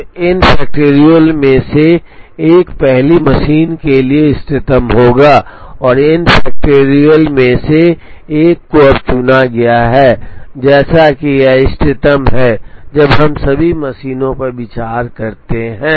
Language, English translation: Hindi, So, 1 out of the n factorial will be optimal for the first machine, and the same 1 out of the n factorial now is chosen, such that it is optimal when we consider all the machines